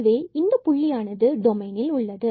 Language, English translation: Tamil, So, we have this point 0 0 in the domain itself